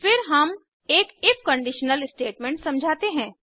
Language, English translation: Hindi, Then, we define an if conditional statement